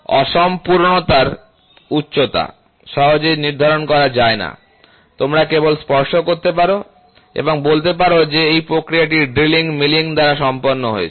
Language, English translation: Bengali, The height of the asperities cannot be readily determined, you can only touch and say this process is done by drilling, milling